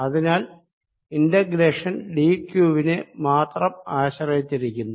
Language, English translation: Malayalam, so this integration does not do really depend on z and r, it depends only on d q